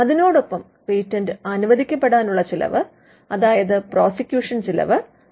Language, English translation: Malayalam, The cost of getting the patent granted; that is the prosecution cost